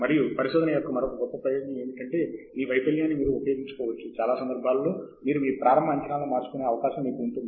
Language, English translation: Telugu, And one great advantage of research, which you can use to get over your failure, in many cases, you should change your initial assumptions